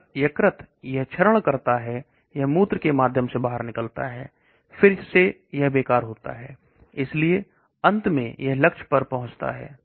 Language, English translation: Hindi, If the liver degrades this it comes out through the urine, again it is waste so finally it reaches the target